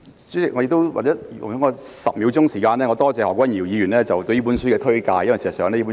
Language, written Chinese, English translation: Cantonese, 主席，請容許我花10秒時間感謝何君堯議員推介此書。, President please allow me to spend 10 seconds on saying thank you to Dr Junius HO for recommending this book to Members